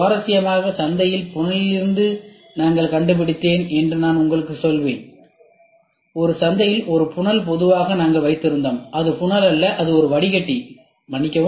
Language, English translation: Tamil, Interestingly, I will tell you I found out of funnel in the market this is a funnel in the market usually we used to have it is not a funnel it is a filter sorry it is a filter in the market which is available